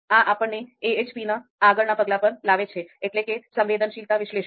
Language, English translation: Gujarati, Now, this brings us to the next step of you know AHP, that is the fourth step, sensitivity analysis